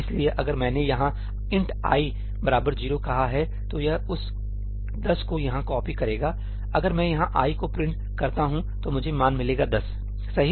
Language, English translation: Hindi, So, if I said ëint i is equal to 10í over here, it will copy that 10 over here; if I print ëií here, I will get the value 10